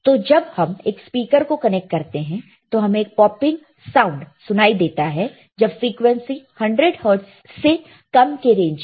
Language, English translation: Hindi, So, when you connect a speaker and you will hear a popping sound at rate below 100 hertz below frequency of 100 hertz